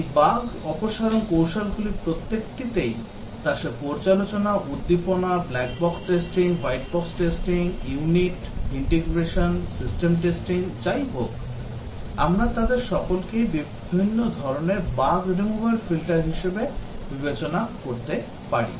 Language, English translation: Bengali, Each of this bug removal technique whether it a review, stimulation, black box testing, white box testing, unit, integration, system testing, we can consider all of them as different type of bug removal filters